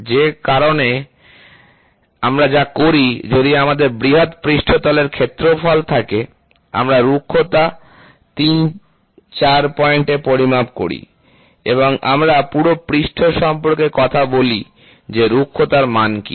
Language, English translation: Bengali, So, that is why what we do, if we have a large surface area, we measure roughness at 3, 4 points and we talk about the entire surface what is the roughness value, generally have a pattern and are oriented in a particular direction